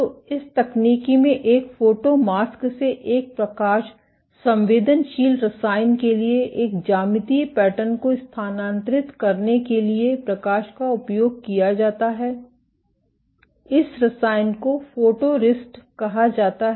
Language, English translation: Hindi, So, in this technique light is used to transfer a geometric pattern from a photo mask to a light sensitive chemical, this chemical is called photoresist